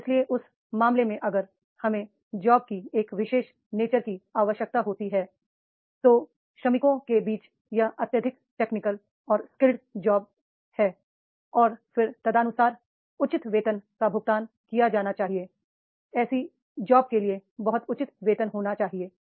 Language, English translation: Hindi, And therefore in that case, if we require a particular nature of job, then amongst the workers this is a highly technical and skilled job is there and then accordingly the fair wages are to be paid for such a job should be, there should be very fair wages are to be paid for such a job should be there should be very fair wages are to be there